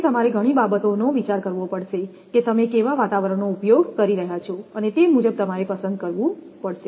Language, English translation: Gujarati, So, you have to consider many things which environment you are using the cables and accordingly you have to choose